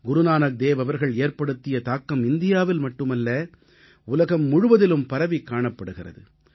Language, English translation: Tamil, The luminescence of Guru Nanak Dev ji's influence can be felt not only in India but around the world